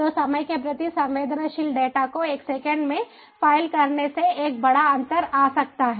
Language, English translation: Hindi, so, file handling time sensitive data, a million second can make a huge difference